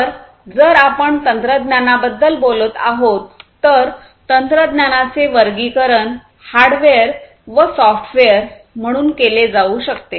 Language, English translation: Marathi, So, if we are talking about technology we let us say, technology broadly can be classified as hardware and software